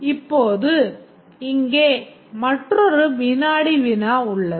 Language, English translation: Tamil, Now there is another quiz here